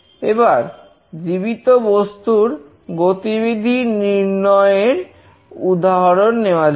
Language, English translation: Bengali, Let us take the example of tracking living beings